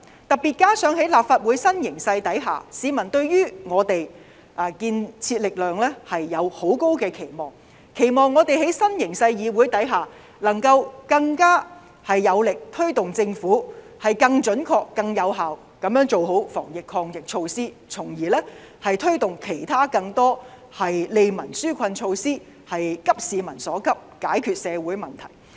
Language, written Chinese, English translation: Cantonese, 特別是加上在立法會的新形勢下，市民對於我們這股建設力量有很高的期望，期望我們在新形勢的議會下能夠更有力推動政府更準確和更有效地做好防疫抗疫措施，從而推動其他更多利民紓困措施，急市民所急，解決社會問題。, Especially in view of the composition of the Legislative Council in the new situation the public are having high hopes for us the constructive power . People expect us in the Legislative Council in the new situation to be more determined to push the Government to implement anti - pandemic measures in a more accurate and effective manner thereby promoting the implementation of more burden relieving initiatives which could address the pressing needs of the public and resolve social problems